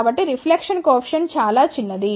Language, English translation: Telugu, So, reflection coefficient is very small